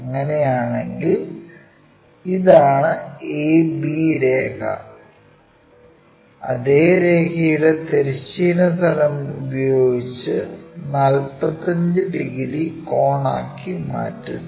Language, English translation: Malayalam, In that case this a b line for the same line we make it 45 degrees angle with the horizontal plane draw it as a top view